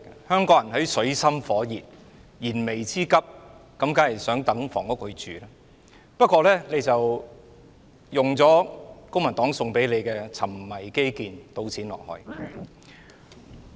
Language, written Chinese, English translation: Cantonese, 香港人處於水深火熱、燃眉之急的狀態，當然對房屋有熱切期望，但你卻像公民黨所說般，"沉迷基建，倒錢落海"。, Trapped in an abyss of misery and in need of urgent relief Hong Kong peoples yearnings for housing are certainly strong . But on the back of her obsession with infrastructure she is as the Civic Party puts it squandering money down the drain